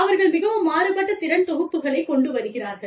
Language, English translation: Tamil, They are bringing, very different skill sets